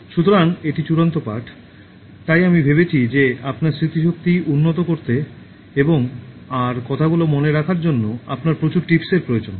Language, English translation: Bengali, So, this is the penultimate lesson, so I thought that you need lot of tips to improve your memory and remember what all have been told to you